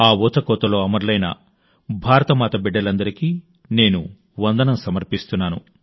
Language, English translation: Telugu, I salute all the children of Ma Bharati who were martyred in that massacre